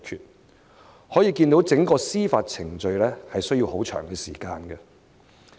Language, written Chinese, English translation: Cantonese, 由此可見，整個司法程序需要很長的時間。, From this we can see that the entire judicial process takes a long time